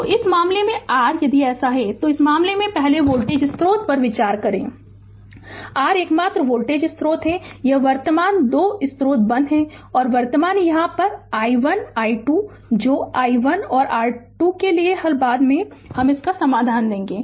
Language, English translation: Hindi, So, in this case your if it is so, then in this case first we have consider the voltage source and your this only voltage source, this current 2 sources are turned off and current is here i 1 i 2 you solve for i 1 and i 2 later I will give you the solution